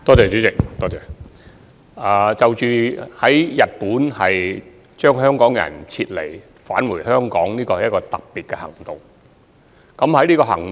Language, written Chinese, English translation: Cantonese, 主席，將身處日本的香港人撤離送回香港，是一項特別行動。, President the evacuation of Hong Kong residents from Japan to Hong Kong is a special operation